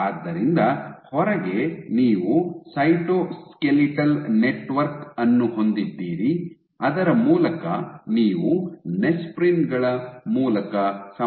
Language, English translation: Kannada, So, outside you have the cytoskeletal network through which you have connections through the nesprins